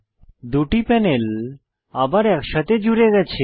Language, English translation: Bengali, The two panels are merged back together